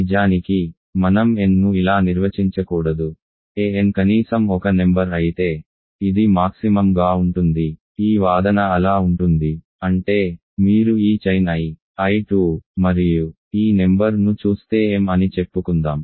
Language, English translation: Telugu, In fact, I should not define n like this if a n is at least this number, max of this then this argument holds so; that means, if you look at this chain I, I 2 and this number let us say is m